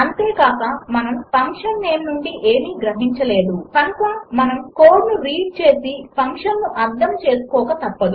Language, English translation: Telugu, Also we cannot infer anything from the function name, and thus we are forced to read the code to understand about the function